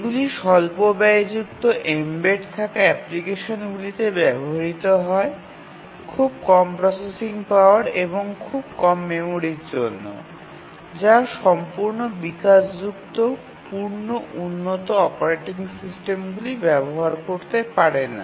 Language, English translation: Bengali, So, as we mentioned that these are used in low cost embedded applications having very less processing power and very small memory which cannot host, host full blown, full flaced operating systems